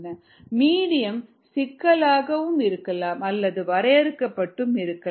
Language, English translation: Tamil, the medium could either be complex or be defined